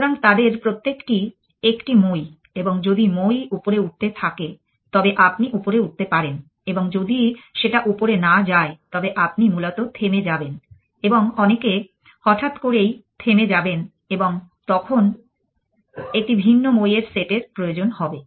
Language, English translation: Bengali, So, each of them is a ladder and if the ladder is going up you claim up if you does not going up you stop essentially and many stop suddenly get a different set of ladders